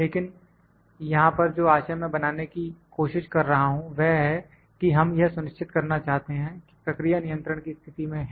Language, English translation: Hindi, But, the point I am trying to make here is that we would like to make sure that the process is in a state of control